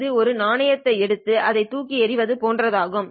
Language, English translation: Tamil, It's like taking a coin and tossing it